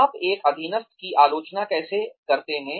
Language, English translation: Hindi, How do you criticize a subordinate